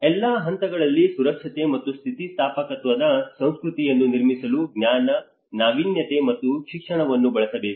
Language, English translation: Kannada, Use knowledge, innovation and education to build a culture of safety and resilience at all levels